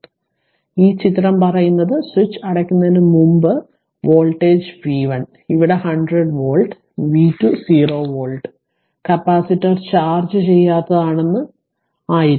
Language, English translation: Malayalam, So, this is the diagram it says that before closing the switch this voltage v 1 here what you call 100 volt, and v 2 was 0 volt right capacitor this one is uncharged